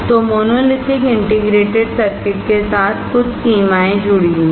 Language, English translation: Hindi, So, there are certain limitations associated with monolithic integrated circuits